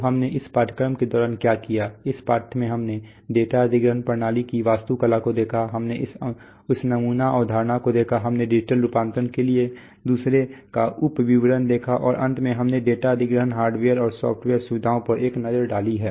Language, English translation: Hindi, So we have, so what we have done during this course, this lesson we have seen the architecture of data acquisition systems, we have seen this sampling concepts, we have seen the sub details of another to digital conversion and finally we have taken a look at some data acquisition hardware and software features